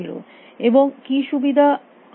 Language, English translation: Bengali, What are the benefits we are getting